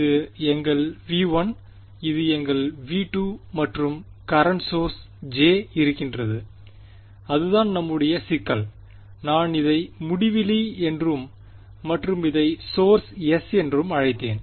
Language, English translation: Tamil, This was our V 1 this is our V 2 and some current source over here J right that is our problem I have call this as infinity and this was source s ok